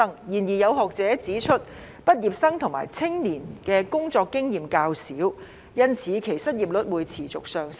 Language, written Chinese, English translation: Cantonese, 然而，有學者指出，畢業生及青年的工作經驗較少，因此其失業率會持續上升。, However some academics have pointed out that as fresh graduates and the youth have less working experience their unemployment rate will continue to climb